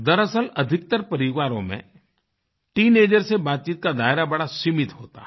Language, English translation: Hindi, In fact, the scope of discussion with teenagers is quite limited in most of the families